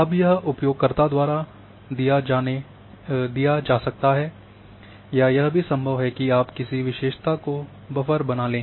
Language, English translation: Hindi, Now this can be given by the user or any attribute which you want to use to create buffer that is also possible